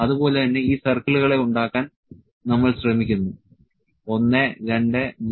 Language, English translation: Malayalam, So, similarly we are trying to make these circles 1, 2, 3 and 4